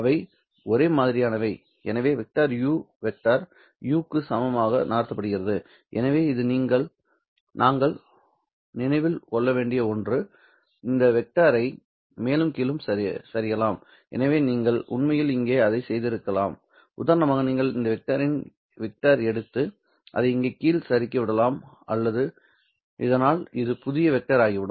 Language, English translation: Tamil, we consider the vector you moved as equal equal to the vector u itself so this is something that you have to remember you can also slide this vector up and down so you could have actually done that one right over here you could have for example taken this vector and just slide it just under here so that this would have become the new vector